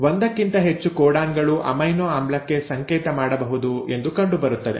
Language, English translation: Kannada, Now there is seen that the more than 1 codon can code for an amino acid